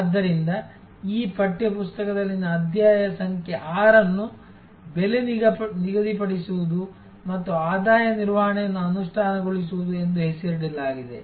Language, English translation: Kannada, So, chapter number 6 in this text book is titled as setting price and implementing revenue management